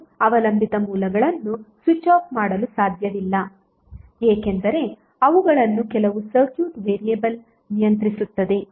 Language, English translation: Kannada, We cannot switch off the dependent sources because they are anyway controlled by some circuit variable